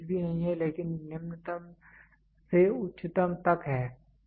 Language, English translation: Hindi, Range is nothing, but from the lowest to the highest